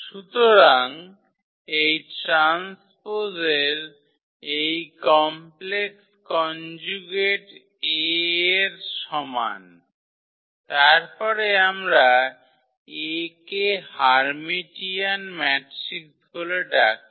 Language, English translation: Bengali, So, this complex conjugate of this transpose is equal to A, then we call that A is Hermitian matrix